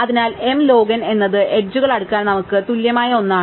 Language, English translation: Malayalam, So, m log n is something which we need to m equal to sort the edges